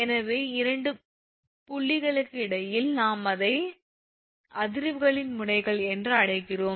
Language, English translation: Tamil, So, midway between 2 point we call it nodes of the vibrations right